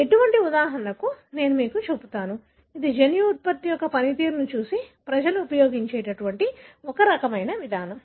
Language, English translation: Telugu, I will show you one such example wherein, so this is a kind of approach people have used looking at the function of the gene product